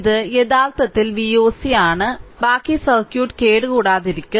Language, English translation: Malayalam, So, this is actually V oc and rest of the circuit will remain intact